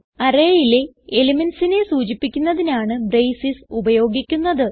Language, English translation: Malayalam, The braces are used to specify the elements of the array